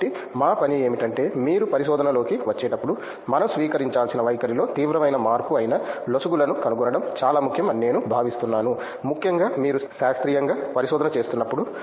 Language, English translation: Telugu, So, our job is to find the loop holes that is a serious change in attitude that we have to adapt to while you come into the research which I think is really important especially when you are doing the research scientifically